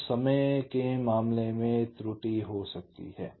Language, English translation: Hindi, so there is an error situation here